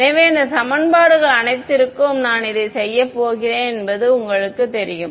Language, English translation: Tamil, So, that you know that I am going to do it to all of these equations ok